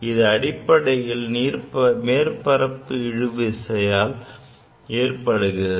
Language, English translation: Tamil, That is because of the surface tension